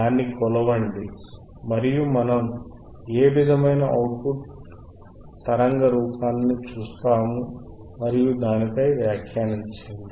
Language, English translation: Telugu, lLet us measure it and let us see what kind of output waveform, we see and let us comment on it, alright